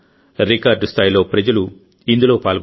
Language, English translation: Telugu, The participation of a record number of people was observed